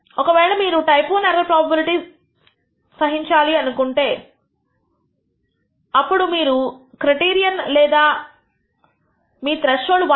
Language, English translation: Telugu, If you are willing to tolerate that type I error probability then you can choose your criterion or your I am sorry your threshold as 1